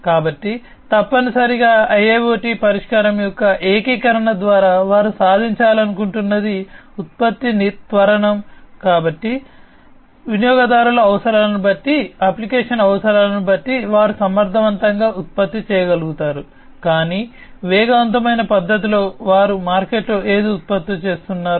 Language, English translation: Telugu, So, depending on the user needs, depending on the application needs, they are able to produce efficiently, but in an accelerated fashion, whatever they are producing in the market